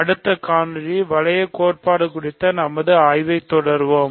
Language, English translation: Tamil, So, in the next video we will continue our study of ring theory